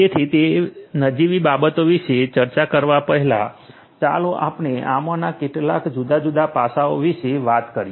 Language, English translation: Gujarati, So, before we discuss about those non trivialities let us talk about some of these different aspects